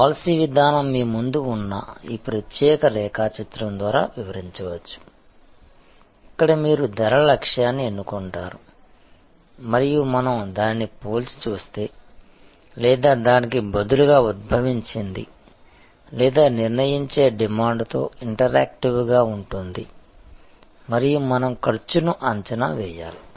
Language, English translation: Telugu, The policy setting can be described by this particular diagram which is in front of you, where you select the pricing objective and we compare that with respect to or rather that is derived or sort of interactive with the determining demand and we have to estimate cost